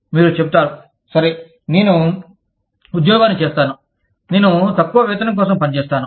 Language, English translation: Telugu, You will say, okay, i will keep the job, i will work for a lower wage